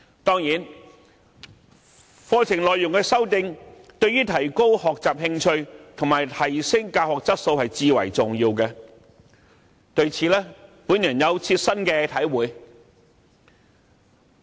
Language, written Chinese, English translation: Cantonese, 當然，對提高學習興趣及提升教學質素，課程內容的修訂至為重要。, Certainly in order to promote interests in learning and enhance the quality of teaching it is essential to revise the curriculum